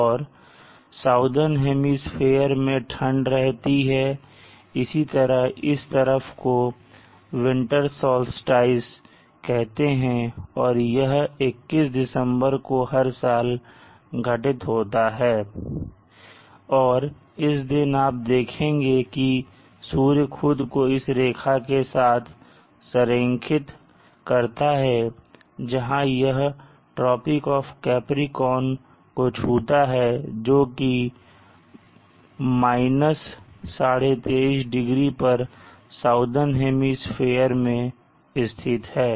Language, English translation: Hindi, And in the southern hemisphere it is doing that likewise on this side this is called the winter soled sties and this occurs on December 21st every year and you see that the sun allying itself along this line where it touches the latitude tropic of capriccio which is 23 and half degrees in the southern hemisphere